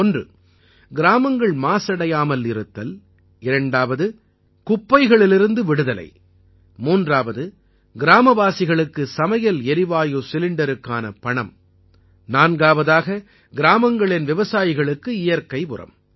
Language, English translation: Tamil, One, the village is freed from pollution; the second is that the village is freed from filth, the third is that the money for the LPG cylinder goes to the villagers and the fourth is that the farmers of the village get bio fertilizer